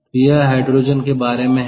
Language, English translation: Hindi, so hydrogen is available